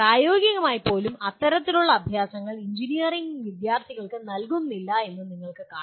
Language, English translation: Malayalam, Even this in practice if you see not much of this kind of exercises are given to the engineering students